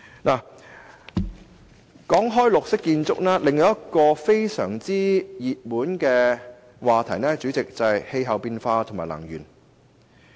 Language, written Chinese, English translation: Cantonese, 主席，除綠色建築外，另一個熱門話題是氣候變化和能源。, President apart from green buildings another hot topic is climate change and energy